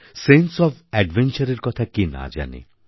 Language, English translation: Bengali, Who does not know of the sense of adventure